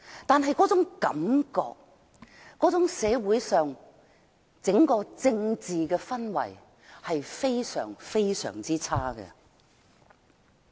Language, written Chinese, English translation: Cantonese, 但是，這種感覺和社會的政治氛圍非常差。, However this kind of feeling and the political atmosphere of our society are really bad